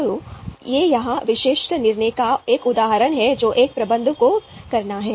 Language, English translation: Hindi, So, this is a example of one typical decision that a manager has to make